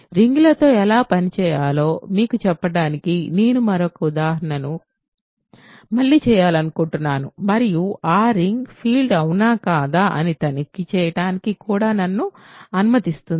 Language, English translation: Telugu, I want to do one more quick example again to tell you how to work with rings and that also allows me to check if that ring is a field or not